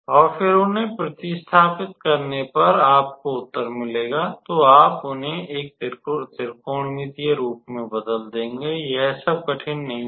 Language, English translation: Hindi, And then substitute them, and that will give you the answer So, you will reduce them to a trigonometrical form, it is not that difficult all right